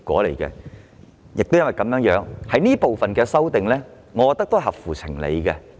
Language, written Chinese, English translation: Cantonese, 正因如此，我認為有關這部分的修訂是合情合理的。, Precisely for this reason I think the amendments concerning this part are sensible and reasonable